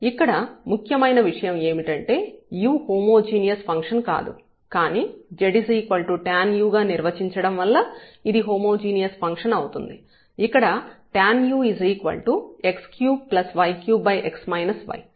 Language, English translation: Telugu, So, here the important point is that this u was not a homogeneous function, but by defining this as the z is equal to tan u which is x cube plus y cube over x minus y it becomes homogeneous